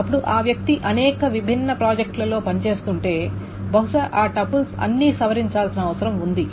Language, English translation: Telugu, Now the person is working in many different projects, supposedly, and all of those tuples needs to be modified